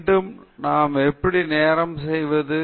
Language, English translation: Tamil, Again, how are we doing with respect to time